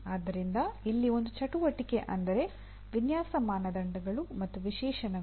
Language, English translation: Kannada, So here the one activity is design criteria and specifications